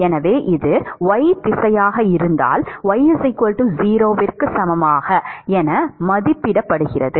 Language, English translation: Tamil, So, if this is y direction, evaluated at y equal to 0